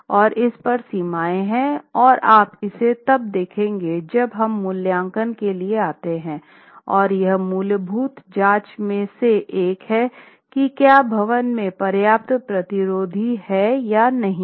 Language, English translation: Hindi, And there are limits on this and you will see when we come to assessment that this check is one of the fundamental checks to see if the building has adequate resistance or not